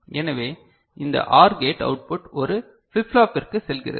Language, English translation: Tamil, So, this OR gate output goes to a flip flop ok